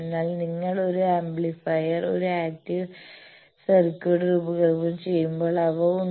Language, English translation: Malayalam, But there are also when you if you design an active circuit like an amplifier, etcetera